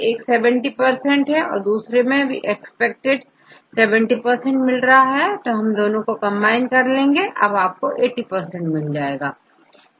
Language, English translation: Hindi, One give 70 percent and another aspect it will another is 70 percent if you combine both you can increase to 80 percent you can do that